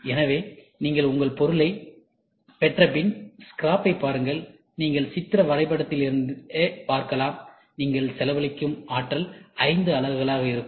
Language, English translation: Tamil, So, you get your part and look at the scrap, you can see from the pictorial diagram itself, energy what you spend will be 5 units